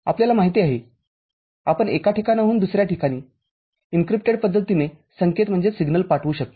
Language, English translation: Marathi, You know, you send the signal from one place to another in an encrypted manner